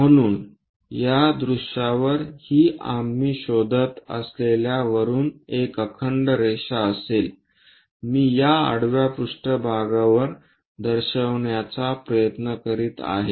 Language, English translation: Marathi, So, on this view it will be a continuous line from top we are looking, I am trying to show it on this horizontal plane